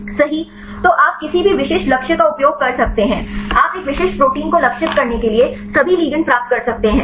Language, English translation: Hindi, So, you can use any specific target, you can get all the ligands this for targeting a specific protein